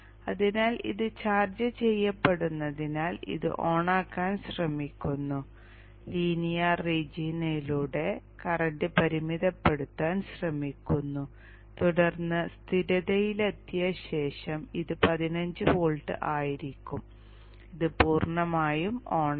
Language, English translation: Malayalam, So as this is getting charged up this is trying to turn this on this goes through the linear region tries to limit the current through this and then after after it reaches stable state this would be at 15 volts and this would be fully on